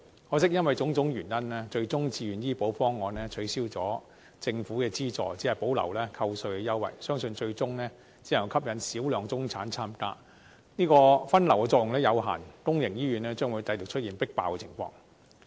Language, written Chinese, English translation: Cantonese, 可惜，因為種種原因，自願醫保方案最終取消了，政府的資助只保留了扣稅優惠，相信最終只能吸引少量中產參加，分流的作用有限，公營醫院將繼續出現"迫爆"情況。, Unfortunately for various reasons the Voluntary Health Insurance proposal was eventually abolished . I believe the retention of tax deduction as the only government subsidy can only attract the participation of a small number of middle - class people in the end . Given the limited effect of diversion public hospitals will continue to be stretched to the limits